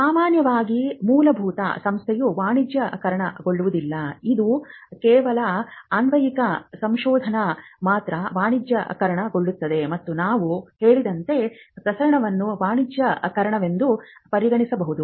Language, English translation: Kannada, Normally basic research is not commercialized it is only the applied research that gets commercialized and as we said dissemination itself can be considered as commercialization